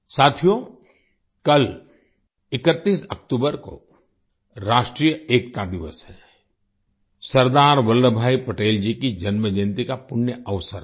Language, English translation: Hindi, Friends, Tomorrow, the 31st of October, is National Unity Day, the auspicious occasion of the birth anniversary of Sardar Vallabhbhai Patel